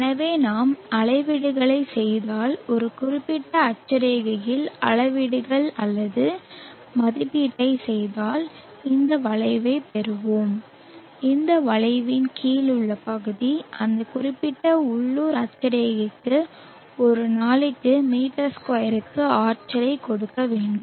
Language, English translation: Tamil, So if we make measurements let us say if we make either measurements or estimation at particular latitude, we will get this curve and the area under the curve should give us the energy per m2 per day for that particular local latitude